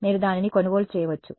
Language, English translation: Telugu, You can just buy it